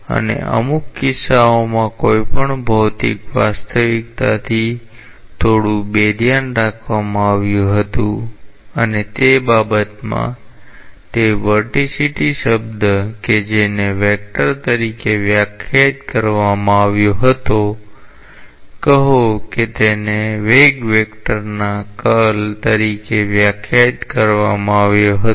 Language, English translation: Gujarati, And in certain cases quite a bit abstracted from any physical reality and in that perspective, the term vorticity which was defined as a vector, say it was defined as the curl of the velocity vector